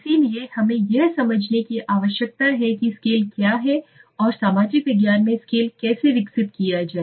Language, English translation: Hindi, So that is why we need to understand what is the scale that means how to develop the scale in the social science okay, so let see this